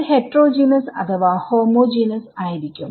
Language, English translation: Malayalam, That is heterogeneous or homogeneous